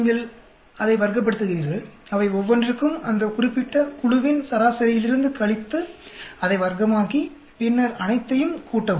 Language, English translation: Tamil, You square it up, for each one of them, you take the subtraction from the mean of that particular group, square it up, then add up all of them